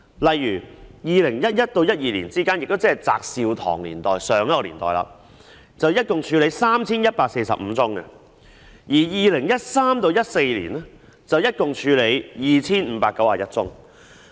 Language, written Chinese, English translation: Cantonese, 例如，在2011年至2012年期間，監警會處理共 3,145 宗，而2013年至2014年期間則處理共 2,591 宗。, For example between 2011 and 2012 when JAT Sew - tong was the Chairman IPCC handled a total of 3 145 cases whereas 2 591 cases were handled between 2013 and 2014